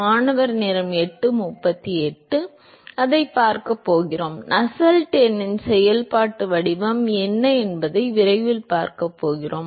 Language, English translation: Tamil, We are going to see that, we are going to see what is the functional form of Nusselt number very soon